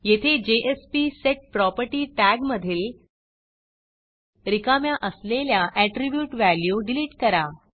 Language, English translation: Marathi, Here in the jsp:setProperty tag that appears, delete the empty value attribute